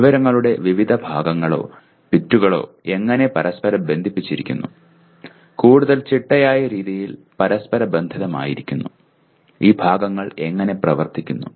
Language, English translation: Malayalam, How the different parts or bits of information are interconnected and interrelated in a more systematic manner, how these parts function together